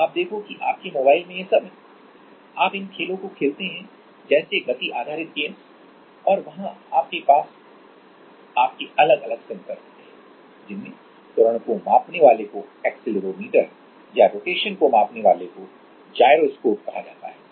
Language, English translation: Hindi, So, you see your mobile have all this you play these games like motion games and there you have your different sensors which are called like accelerometer for measuring acceleration or gyroscopes for measuring rotation